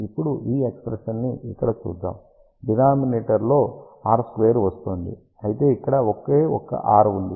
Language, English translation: Telugu, Now, let just look at this expression here r square is coming in the denominator, whereas there is a only one r over here